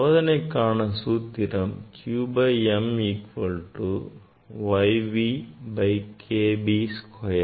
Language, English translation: Tamil, you can calculate q by m equal to Y V K B square